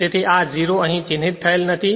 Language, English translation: Gujarati, So, at this 0 is not marked here